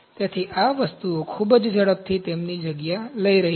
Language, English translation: Gujarati, So, these things are taking their place in a very high pace